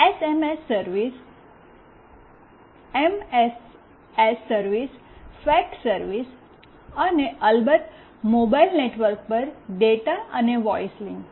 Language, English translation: Gujarati, SMS service, MMS service, fax service, and of course data and voice link over mobile network